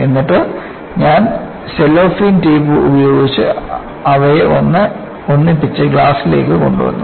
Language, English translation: Malayalam, And then, I use cellophane tape to put them together and bring it to the class